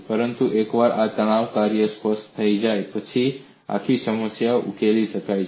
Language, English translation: Gujarati, But once the stress function is specified, the entire problem can be solved